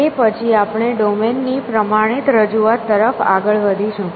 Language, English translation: Gujarati, After that, we will move towards standardizing representation of the domain